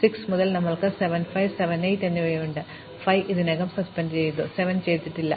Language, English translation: Malayalam, From 6, we have 7, 5, 7, and 8; so 5 is already done, but 7 is not done